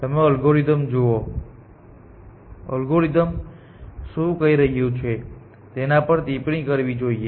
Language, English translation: Gujarati, You should at a algorithm look at a algorithm and comment on what the algorithm is doing